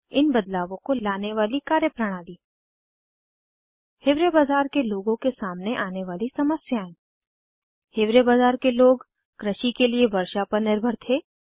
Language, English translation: Hindi, Practices that helped bring about these changes Problems faced by the people of Hiware Bazar The people of Hiware Bazar depended on rain for agriculture